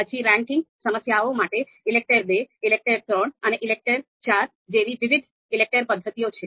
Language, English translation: Gujarati, Then for ranking problems, there are different ELECTRE methods ELECTRE II, ELECTRE III and ELECTRE IV